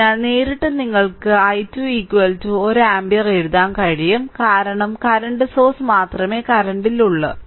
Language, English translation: Malayalam, Therefore your directly you can write i 2 is equal to 1 ampere, because only current source is there at current is in this mesh right